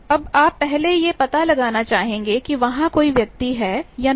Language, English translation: Hindi, Now, you want to first detect whether there is any person